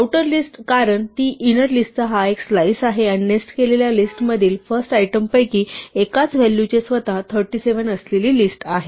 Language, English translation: Marathi, So, the outer list is because it is a slice and inner one is because the value in position one of the first item in the list nested is itself a list containing 37